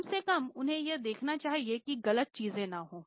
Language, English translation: Hindi, At least they should see that wrong things don't happen